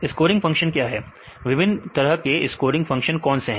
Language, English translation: Hindi, What is scoring function, what are the various types of scoring functions we discussed